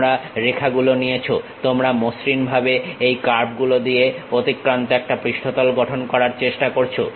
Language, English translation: Bengali, You pick lines, you try to smoothly construct a surface passing through this curves